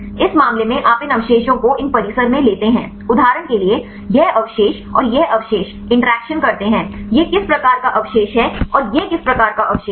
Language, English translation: Hindi, In this case you take these residues in these complex for example, this residue and this residue interact, this is which type of residue and this is which type of residue